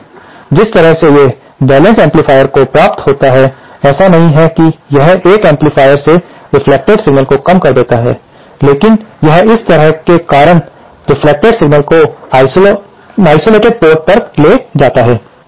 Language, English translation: Hindi, The way these balanced amplifiers achieve that is not that it reduces the reflected signal from an amplifier, but it kind of causes the reflected signal to be diverted to the isolated port